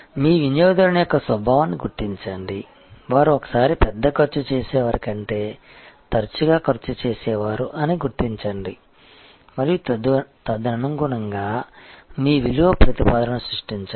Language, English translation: Telugu, Recognize the nature of your customer, recognize that they are frequency spenders rather than one time large spender and accordingly create your value proposition